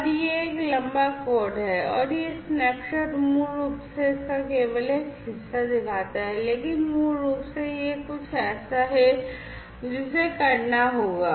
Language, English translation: Hindi, And this is a long code and you know these snapshot basically shows only part of it, but this basically is something that will have to be done